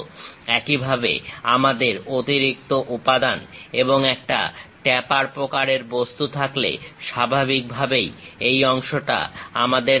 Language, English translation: Bengali, Similarly, we have an extra material and taper kind of thing then naturally we will have this portion